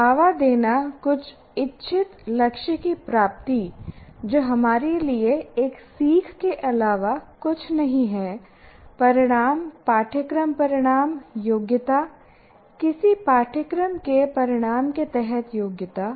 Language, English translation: Hindi, To promote the attainment of some intended goal, that intended goal is nothing but for us either learning outcome, course outcome or competency, competency under some course outcome